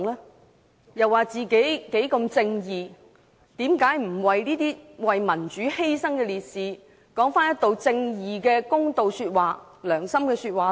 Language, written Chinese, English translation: Cantonese, 他們聲稱自己十分正義，為何他們不為這些為民主犧牲的烈士說一句正義的公道說話、良心說話呢？, While they have claimed that they are extremely righteous why did they not make some righteous remarks with a good conscience to do justice to the martyrs who died for democracy?